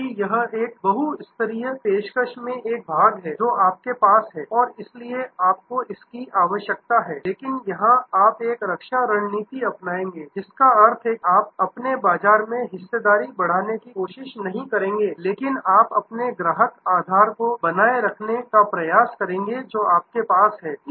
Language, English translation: Hindi, Because, it is one segment in a multi tier offering that you are have and therefore, you need to, but here you will do a defense strategy, which means you will not try to grow your market share, but you will try to protect the customer base that you have